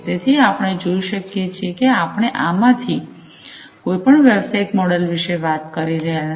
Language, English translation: Gujarati, So, as we can see that we are not talking about any of these business models in isolation